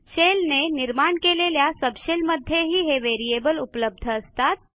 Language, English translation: Marathi, These are not available in the subshells spawned by the shell